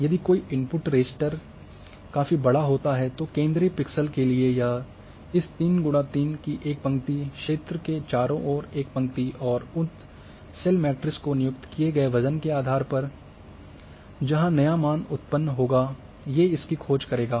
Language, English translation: Hindi, If any my input raster is larger, so for the central pixel it will search this 3 by 3 one row one column all around that area and depending on the weight which have been assigned to these cells of my matrix there the new value will be generated